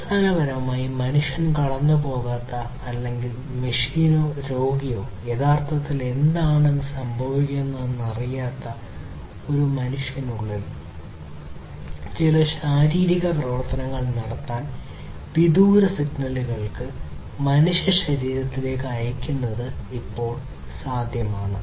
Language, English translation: Malayalam, So, it is now possible that remotely you could send signals to the human body to perform certain physiological operations within a human, without basically having the human go through or rather the human being or the patient being able to know what is actually happening